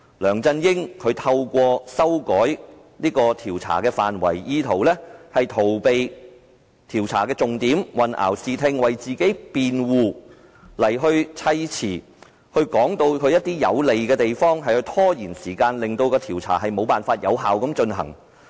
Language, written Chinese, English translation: Cantonese, 梁振英透過修改調查範圍，意圖逃避調查的重點，混淆視聽，為自己辯護，堆砌對他有利的說辭，以拖延時間，令調查無法有效進行。, LEUNG Chun - ying modified the scope of the inquiry in an attempt to evade the focus of the inquiry obscure the facts and defend himself . He made remarks beneficial to him to procrastinate so that the inquiry cannot be conducted effectively